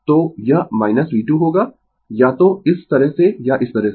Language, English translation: Hindi, So, it will be minus V 2 either this way or this way